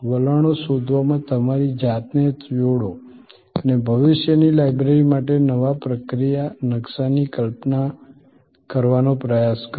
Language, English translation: Gujarati, Engage yourself with trends spotting and try to visualize the new process map for the library of the future